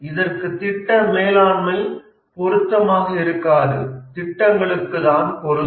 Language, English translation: Tamil, And the project management is especially important for projects